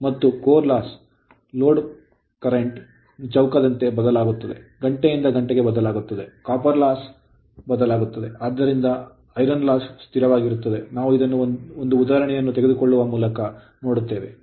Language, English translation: Kannada, And copper loss vary as square of the load current from hour to hour varies right so, copper loss variable, but iron loss will remain constant we will see when we take one example right